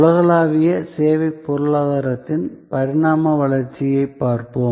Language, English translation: Tamil, And we will look at the evolve evolution of the global service economy